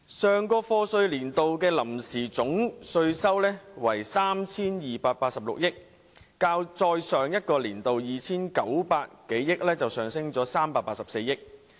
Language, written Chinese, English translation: Cantonese, 上個課稅年度的臨時總稅收為 3,286 億元，較再上一個年度的 2,902 億元上升384億元。, The total amount of tax revenue collected for the last year of assessment is 328.6 billion provisional an increase of 38.4 billion compared to the previous years 290.2 billion